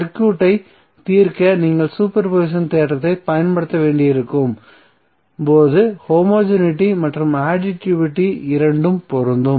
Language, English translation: Tamil, So the homogeneity and additivity both would be applicable when you have to use super position theorem to solve circuit